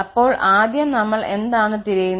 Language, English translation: Malayalam, So, at first what we are looking for